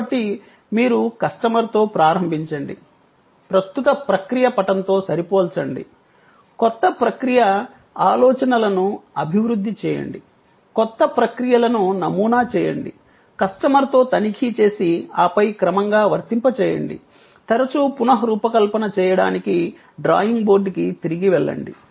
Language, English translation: Telugu, So, you start with the customer, compare with the current process map, develop new process ideas, prototype the new processes, check with the customer and then deploy gradually, often go back to the drawing board to redesign